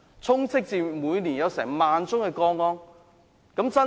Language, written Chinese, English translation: Cantonese, 香港每年有1萬宗個案。, There are 10 000 cases in Hong Kong every year